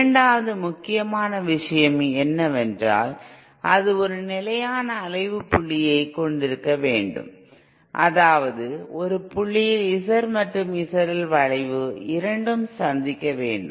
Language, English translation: Tamil, The second important thing is that it should have a stable oscillating point that is there should be a point where this Z in A curve meets the Z L curve that is the second part